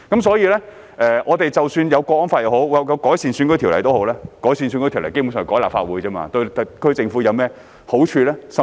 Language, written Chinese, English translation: Cantonese, 所以，即使已訂立《香港國安法》和改善選舉制度，但基本上修改立法會選舉制度對特區政府有何好處？, Therefore after the Hong Kong National Security Law has been enacted and the electoral system has been improved what benefits can the SAR Government basically get from the amendments made to the electoral system of the Legislative Council?